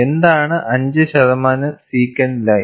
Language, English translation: Malayalam, And what is the 5 percent secant line